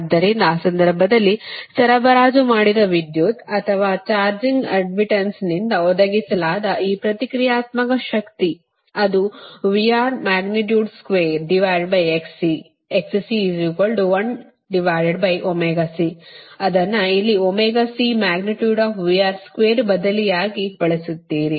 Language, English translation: Kannada, so in that case, the power supplied, or this reactive power supplied by the charging admittance, actually it is your v